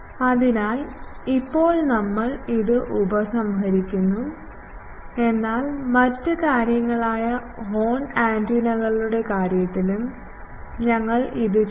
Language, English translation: Malayalam, So, now we will see, to today we are concluding this, but we will do the same thing in case of other things, the horn antennas